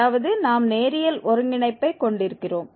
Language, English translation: Tamil, That means we will have the linear convergence